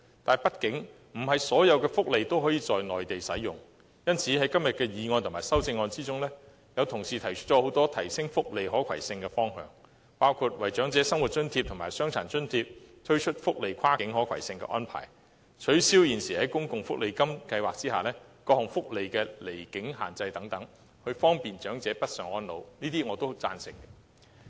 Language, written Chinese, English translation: Cantonese, 但畢竟，不是所有福利都可以在內地使用，因此，在今天的議案及修正案中，有同事提出了很多提升福利可攜性的方向，包括：為長者生活津貼和傷殘津貼推出跨境可攜性安排，取消現時在公共福利金計劃下各項福利的離境限制，方便長者北上安老。, However not all welfare provisions can be made available on the Mainland . Some colleagues therefore suggest in the original motion or its amendments today a number of directions for improving welfare portability . These include introducing cross - boundary portability arrangements for Old Age Living Allowance and Disability Allowance in addition to abolishing the existing absence limit for various welfare benefits under the Social Security Allowance Scheme to facilitate northbound elderly care